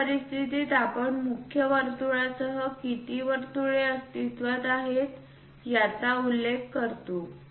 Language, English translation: Marathi, In that case we really mention how many circles are present and along which main circle they were placed